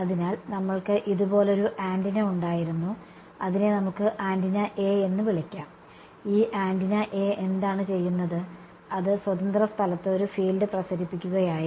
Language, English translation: Malayalam, So, we had one antenna like this let us call it antenna A ok, and what was this antenna A doing, it was radiating a field in free space